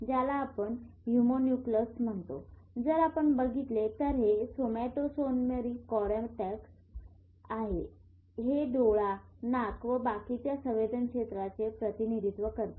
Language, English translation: Marathi, So, what we call a homunculus, if you look at this somatosensory cortex, this is the representation of eye, nose, the rest of the body